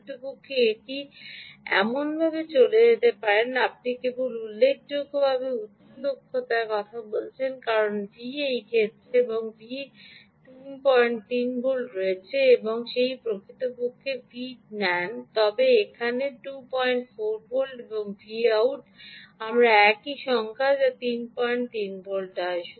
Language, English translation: Bengali, in fact it can go even like this: ah, you say a significantly high efficiency only because the v in is, in this case, ah three point six and v out is three point three, whereas if you take this right, v in here is two point four volts and v out is again the same number, which is three point three volts